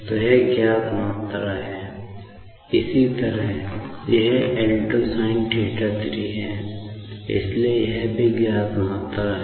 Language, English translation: Hindi, So, this is the known quantity; similarly, this L 2 sin theta 3, so this is also the known quantity